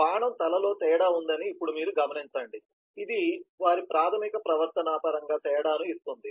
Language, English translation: Telugu, now you do note that there is a difference in the arrow head, which gives the difference in terms of their basic behaviour